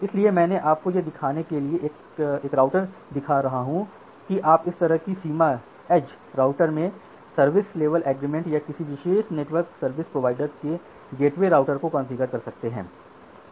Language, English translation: Hindi, So, I have just taken the trace of a router to show you that this way you can configure the service level agreement in the edge router or the gateway routers of a specific network service provider